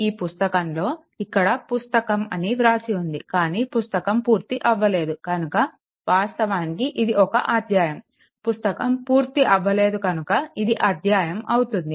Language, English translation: Telugu, So, it is where I have written somewhere in this book, book is not written actually it will be chapter, it will be chapter the book will never completed actually so, it will be chapter